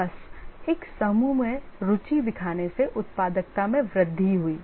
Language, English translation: Hindi, Simply showing an interest in a group increased it productivity